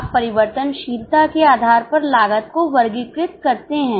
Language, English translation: Hindi, You classify the cost based on variability